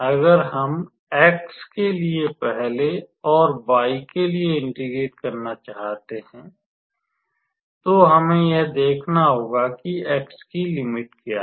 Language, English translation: Hindi, Now, if we want to integrate with respect to x first and then with respect to y, we have to see how x is varying